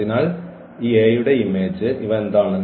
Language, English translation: Malayalam, So, image of this A